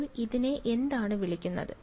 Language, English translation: Malayalam, So, what is this guy called